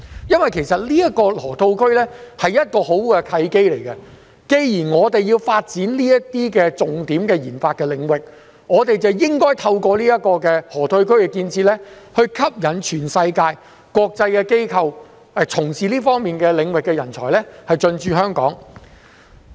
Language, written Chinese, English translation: Cantonese, 因為，這個河套區是一個很好的契機，既然我們要發展這些重點研發領域，便應該透過河套區建設來吸引全世界國際機構、從事這方面領域的人才進駐香港。, The Lok Ma Chau Loop provides us with a good opportunity . Since we will push developments in these key RD areas we should make use of the construction of the Lok Ma Chau Loop facilities to attract international institutions and talents in the relevant fields from around the world to come and stay in Hong Kong